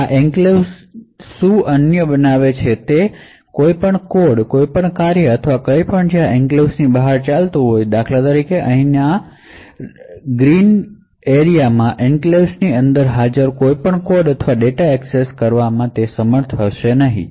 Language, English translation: Gujarati, Now what makes this enclave unique is that any code, any function or anything which is executing outside this enclave for example in this green region over here will not be able to access any code or data present within the enclave